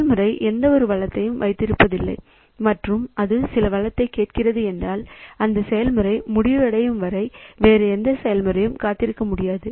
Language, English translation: Tamil, So, if the process is not holding any resource and it is asking for some resource then no other process can wait for this process to be over